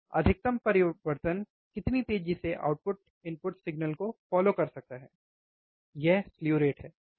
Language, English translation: Hindi, Maximum change, now measure of how fast the output can follow the input signal, this is also the slew rate all, right